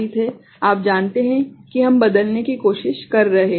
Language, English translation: Hindi, that you know we are trying to convert